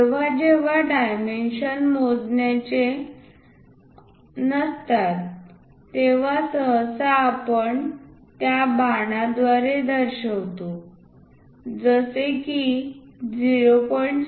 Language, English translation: Marathi, Whenever there are not to scale dimensions, usually, we represent it by that arrow a line indicating 0